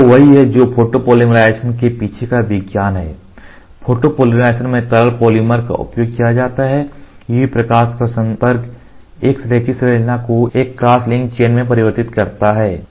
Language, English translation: Hindi, So, this is what is the science behind photopolymerization, in photopolymerization liquid polymer is used exposure of UV light converts a linear chain into a cross linked chain or a branched into a cross linked chain